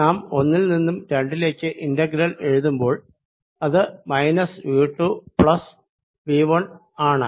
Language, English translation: Malayalam, we write integral from one to two: v two plus v one